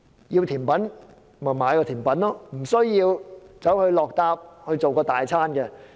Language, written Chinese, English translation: Cantonese, 要吃甜品單買甜品便可以了，無需要附加大餐。, If one wants dessert just buy the dessert he needs not buy the entire meal